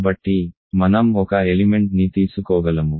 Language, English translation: Telugu, So, I can take an element